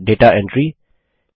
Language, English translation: Hindi, Set data entry